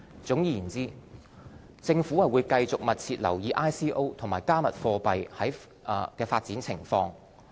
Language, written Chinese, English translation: Cantonese, 總括而言，政府會繼續密切留意 ICO 和"加密貨幣"的發展情況。, Overall the Government will continue to closely monitor the development of ICOs and cryptocurrencies